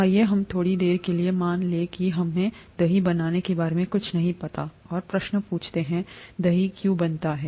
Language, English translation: Hindi, Let us assume for a while that we know nothing about curd formation and ask the question, why does curd form